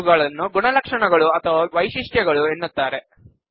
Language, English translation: Kannada, These are called characteristics or attributes